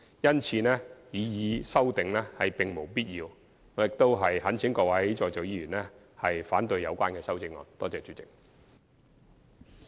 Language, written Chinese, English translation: Cantonese, 因此，擬議修正案並無必要，我懇請各位在席委員反對有關修正案。, As such the proposed amendment is not necessary . I implore Members who are present to oppose the amendment